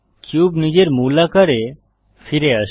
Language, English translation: Bengali, The cube changes back to its original form